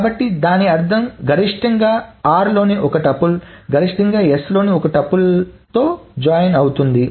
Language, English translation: Telugu, So which means that at most one tipple of r will join with at most one triple of s